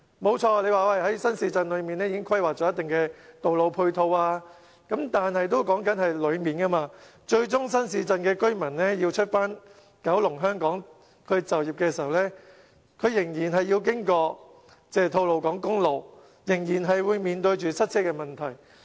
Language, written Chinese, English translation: Cantonese, 的確，在新市鎮裏面已經規劃了一定的道路配套，但這說的是區內配套，最終新市鎮的居民要到九龍、香港就業的時候，他們仍然要經吐露港公路，仍然要面對塞車問題。, It is true that the Government planned certain ancillary road networks during new towns development yet these are intra - district networks only . In the end commuters in new towns must travel to the urban areas via the Tolo Harbour Highway so they will still have to experience traffic congestion